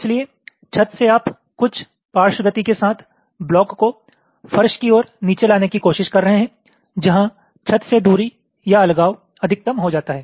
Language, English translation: Hindi, so from the ceiling, you are trying to bring the blocks down towards the floor with some lateral movement where the distance or separation from the ceiling becomes maximum